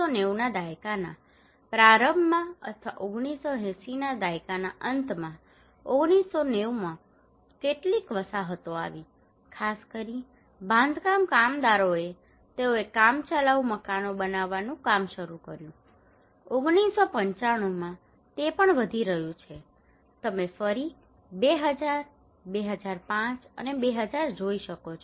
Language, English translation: Gujarati, In 1990 in the early 1990s or late 1980s some settlements have come especially the construction workers they started to build temporary houses, in 1995 that is also increasing you can see again 2000, 2005, and 2013